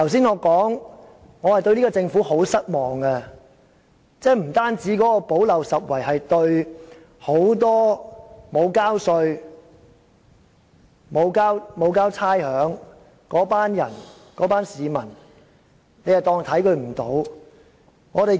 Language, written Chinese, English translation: Cantonese, 我剛才已表明對這個政府很失望，所謂的"補漏拾遺"，是因為對很多沒有繳稅和繳交差餉的市民視而不見。, I have already expressed my grave dissatisfaction about the Government just now and since it has turned a blind eye to the situation of many people who are not required to pay tax and rates it is required to put forward a proposal to plug the gap